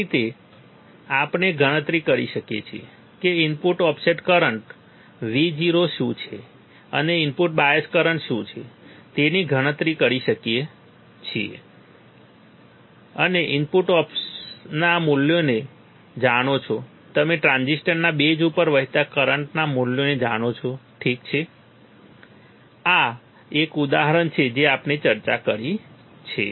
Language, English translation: Gujarati, This is how we can calculate this is how you can calculate what is the input offset Vo current and what is the input bias current given that you know the values of input off, you know the values of current flowing to the base of the transistor to the base of the transistors, all right, this is one example what we have discussed